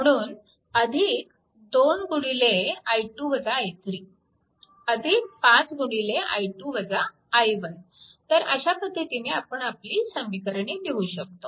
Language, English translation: Marathi, So, this way you can write all this equation